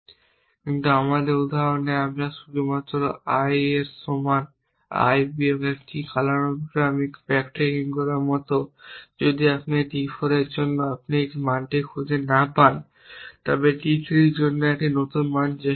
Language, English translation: Bengali, But in our example we just to i is equal to i minus 1 which is like doing chronological backtracking if you cannot find a value for d 4 try a new value for d 3 and so on essentially